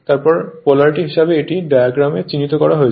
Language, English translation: Bengali, Then, the polarities of the winding are as marked in the diagram